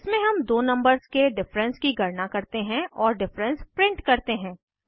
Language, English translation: Hindi, In this we calculate the difference of two numbers and we print the difference